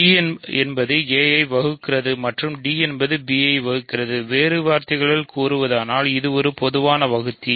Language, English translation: Tamil, So, d divides a and d divides b; in other words it is a common divisor